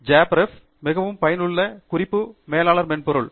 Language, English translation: Tamil, JabRef is a very useful reference manager software